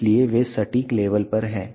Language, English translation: Hindi, So, that they are at the exact level